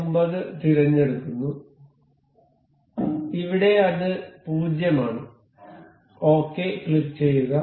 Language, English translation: Malayalam, 49 and say here it is 0; click ok